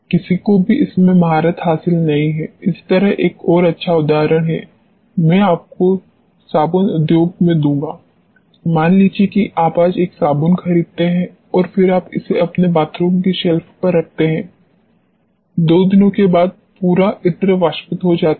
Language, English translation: Hindi, No one has mastered it yet, like the logic another good example I will give you in the soap industry, suppose you buy a soap today and then you keep it on the shelf in your bathroom, after two days the entire perfume evaporates